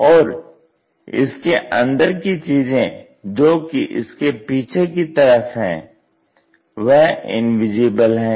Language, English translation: Hindi, And the other internal things at back side of that that is not visible